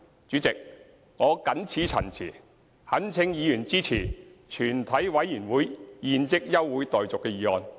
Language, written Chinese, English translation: Cantonese, 主席，我謹此陳辭，懇請委員支持"全體委員會現即休會待續"的議案。, With these remarks Chairman I implore Members to support this motion that further proceedings of the committee be now adjourned